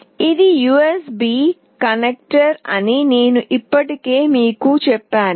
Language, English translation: Telugu, As I have already told you that this is the USB connector